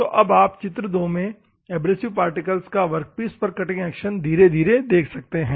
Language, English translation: Hindi, So, now, the cutting action of abrasive particles on a workpiece, you can see in figure 2 in a gradual manner